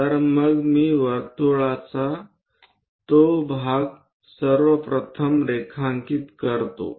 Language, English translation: Marathi, So, let me draw that part of the circle first of all